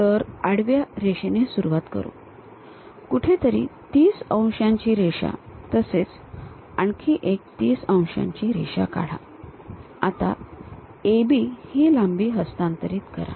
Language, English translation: Marathi, So, begin with a horizontal line, somewhere draw a 30 degrees line another 30 degrees line, now A B length transfer it